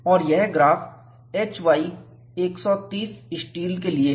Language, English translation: Hindi, And, this graph is for HY 130 steel